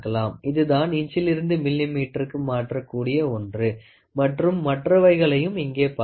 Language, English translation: Tamil, So, here these are something which are used to convert from inches to millimeter and other things